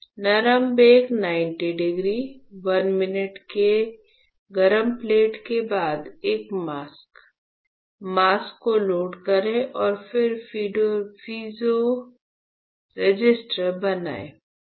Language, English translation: Hindi, Soft bake 90 degrees 1 minute hot plate followed by a mask, you load the mask and then you form the piezo resistor